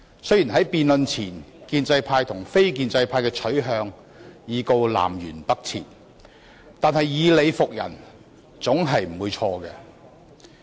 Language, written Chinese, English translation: Cantonese, 雖然建制派和非建制派的取向在辯論前已是南轅北轍，但以理服人總不會錯。, Although the stands of the pro - establishment camp and the non - establishment camp were already poles apart before the debate it is never wrong to convince others by reasoning